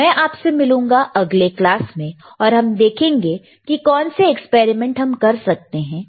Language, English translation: Hindi, So, I will see you in the next class, and let us see what experiments we can perform,